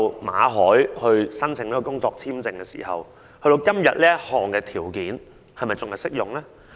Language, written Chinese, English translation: Cantonese, 馬凱申請工作簽證時，我不知道這項條件至今是否仍然適用。, When Victor MALLET applied for an employment visa I wonder if this requirement is still applicable today